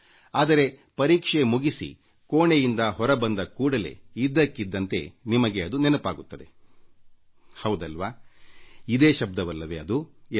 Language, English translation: Kannada, But as soon as you finish the examination and exit from the examination hall, suddenly you recollect that very word